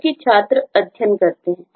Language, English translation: Hindi, because student study